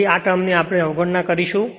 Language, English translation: Gujarati, So, this term we will neglect